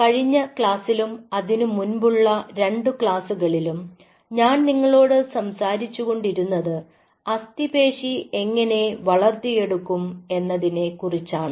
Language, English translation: Malayalam, so in the last class i talked to you about last couple of classes, i talked to you about how to grow the skeletal muscle